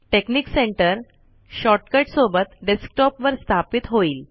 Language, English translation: Marathi, Then texnic center gets installed with a shortcut on the desktop